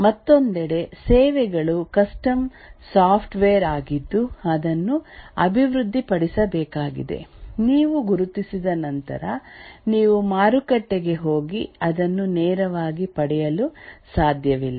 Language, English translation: Kannada, On the other hand, the services are custom software which needs to be developed once you identify this, you can just go to the market and directly get it